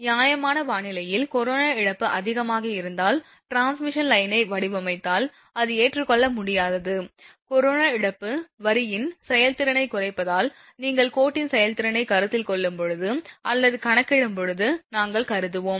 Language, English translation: Tamil, If you design a transmission line if corona loss is higher in fair weather condition that is not acceptable, but because corona loss reduces the efficiency of the line because when you are considering or computing the efficiency of the line and that time we will consider losses, so during fair weather condition that the corona loss should be low